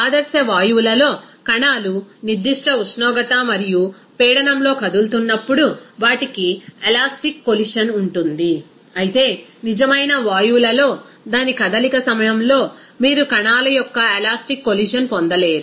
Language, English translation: Telugu, In ideal gases, there is elastic collision of the particles whenever it will be moving in a particular temperature and pressure, whereas in real gases, you will not get any elastic collision of the particles during its movement